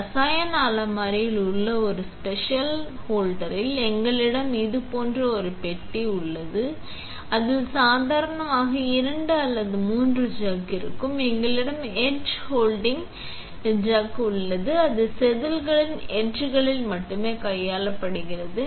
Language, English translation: Tamil, In a special holder in the chemical cupboard, we have a box looking like this, it contains normally 2 or 3 chucks, we have an etch handling chuck that is only handling on the etch of the wafer